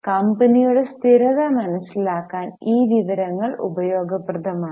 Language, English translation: Malayalam, This information is useful to understand the stability of the company